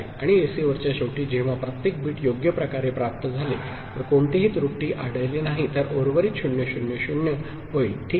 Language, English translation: Marathi, And at the receiver end, when if every bit is appropriately received, no error is there, then the remainder will become 0 0 0, ok